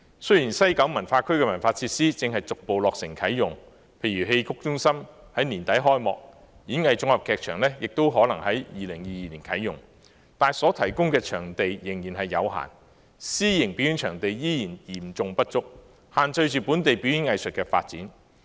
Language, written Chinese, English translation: Cantonese, 雖然西九文化區的文化設施正逐步落成啟用，例如戲曲中心在年底開幕，演藝綜合劇場亦可能在2022年啟用，但所提供的場地仍然有限，私營表演場地仍然嚴重不足，限制着本地表演藝術的發展。, The cultural facilities of the West Kowloon Cultural District are gradually being commissioned . For example the Xiqu Centre will be opened at the end of the year and the Lyric Theatre Complex may be operational in 2022 . However the venues available are still limited and private performance venues remain severely inadequate thus constraining the development of local performing arts